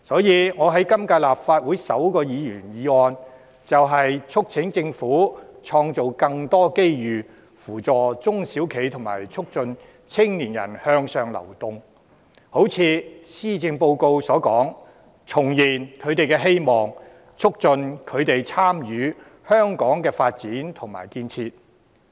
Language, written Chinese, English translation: Cantonese, 因此，我在今屆立法會提出的首項議員議案，便是促請政府創造更多機遇扶助中小企及促進青年人向上流動，正如施政報告所說，重燃他們的希望，促進他們參與香港的發展和建設。, Hence the first Members motion I moved in the current Legislative Council seeks to urge the Government to create more opportunities to assist SMEs and promote the upward mobility of young people . As stated in the Policy Address in order to rekindle their hope their participation in Hong Kongs development and construction should be promoted